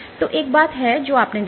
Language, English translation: Hindi, So, there is one thing that you observed